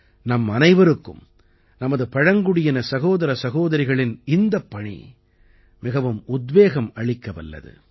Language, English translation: Tamil, For all of us, these endeavours of our Adivasi brothers and sisters is a great inspiration